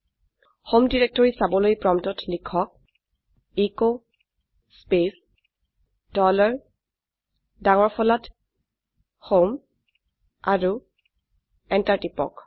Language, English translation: Assamese, To see the home directory type at the prompt echo space dollar HOME in capital and press enter